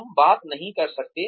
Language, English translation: Hindi, You cannot talk